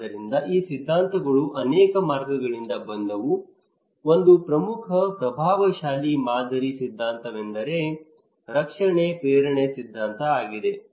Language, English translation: Kannada, So these theories came from many routes, one of the prominent influential model theory is the protection motivation theory